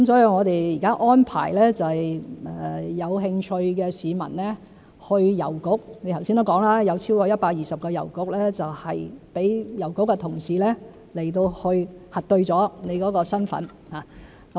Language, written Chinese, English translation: Cantonese, 我們現在安排有興趣的市民去郵局，正如陳議員剛才所說，有超過120個郵局讓郵局同事去核對市民的身份。, Under our present arrangement those who are interested may go to any of the post offices totalling more than 120 as Mr CHAN said just now for identity verification by postal officers . We will explore where we can set up more verification kiosks in the future